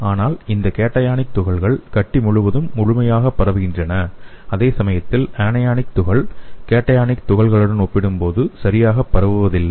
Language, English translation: Tamil, But this cationic particles diffuse fully throughout the tumor, whereas anionic particle is not diffused properly when compared to the cationic particles